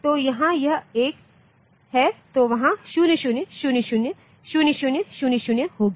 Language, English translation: Hindi, So, where it is 1 then there will be 0 0 0 0, 0 0 0 0